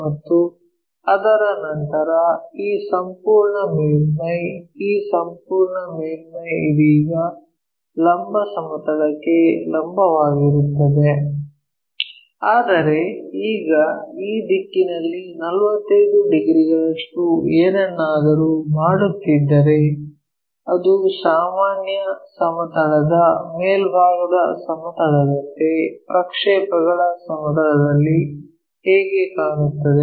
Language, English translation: Kannada, And this entire surface after that; this entire surface right now perpendicular to the vertical plane, but now if we are making something like in this direction 45 degrees, how does that really look like in the projected planes like normal planestop side planes